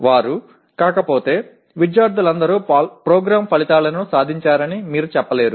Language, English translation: Telugu, If they are not then obviously you cannot say that all students have attained the program outcomes